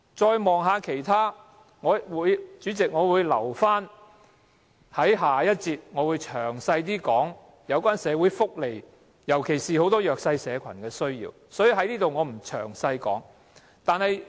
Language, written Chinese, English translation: Cantonese, 再看看其他......代理主席，我會留待在下一節有關社會福利的辯論中，詳細討論市民，尤其是弱勢社群的需要。, When we look at other Deputy Chairman I will discuss in detail the needs of the people and especially those of the underprivileged in the next debate session on social welfare